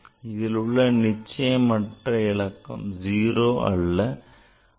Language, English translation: Tamil, Again, this the doubtful digit is 0